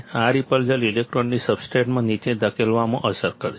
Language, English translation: Gujarati, This repulsion will effect in the pushing the electrons down into the substrate